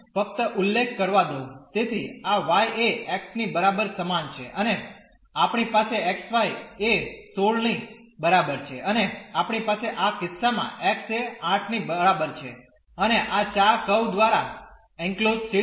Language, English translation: Gujarati, So, this is y is equal to x and we have x y is equal to 16 and we have in this case x is equal to 8 and the region enclosed by these 4 curves